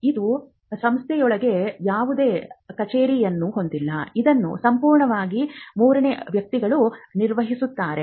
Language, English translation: Kannada, It does not have any office within the institute, it is completely managed by the third parties